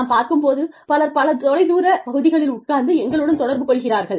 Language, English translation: Tamil, When we see, so many people, sitting in so many far flung areas, communicating with us